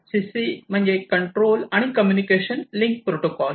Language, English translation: Marathi, Control and communication link protocol, CC link